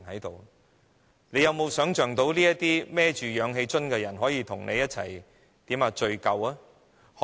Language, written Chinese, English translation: Cantonese, 大家能否想到這些背着氧氣瓶的人可以與你一起聚舊呢？, Can we imagine having a gathering with these people bearing oxygen cylinders